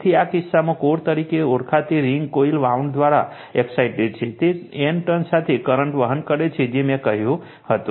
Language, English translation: Gujarati, So, in this case, the ring termed as core is excited by a coil wound, it with N turns carrying the current I told you right